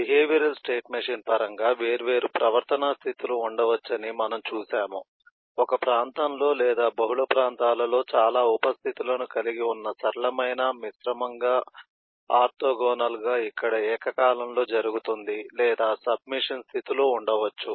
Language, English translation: Telugu, In terms of the behavioral state machine, we have seen that there could be different behavioral states, simple composite, which comprise lot of sub states in one region or in multiple regions orthogonally, where which happen concurrently, or it could have sub machine states